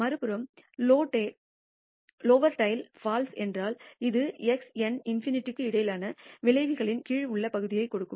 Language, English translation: Tamil, On the other hand if lower tail is FALSE, then it will give the in area under the curve between x n infinity